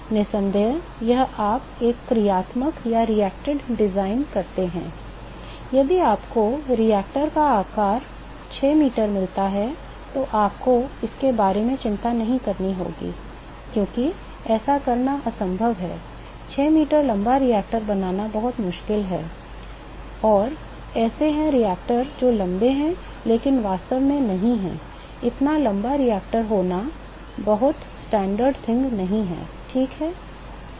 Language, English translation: Hindi, Of course, if you do a reacted design, if you get the reactor size of 6 meter you have to worry about it, because that is an impossible thing to do, it is very difficult to build a 6 meter tall reactor, and there are reactor which are that tall, but really not, it is not a very standard thing to have a reactor which is that tall ok